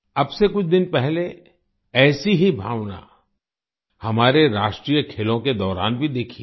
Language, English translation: Hindi, A few days ago, the same sentiment has been seen during our National Games as well